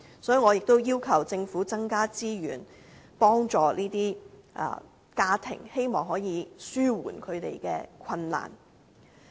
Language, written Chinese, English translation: Cantonese, 所以，我也要求政府增加資源，幫助這些家庭，希望可以紓緩他們的困難。, Therefore I also urge the Government to offer more resources for helping these families so as to alleviate their difficulties